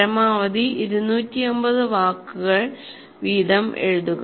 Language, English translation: Malayalam, Just write maximum 250 words each